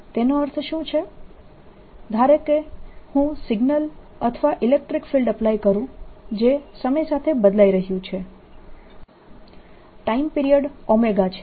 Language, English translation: Gujarati, again, what we mean by that is: let's suppose i am applying a signal or electric field which is changing in time, the time period is omega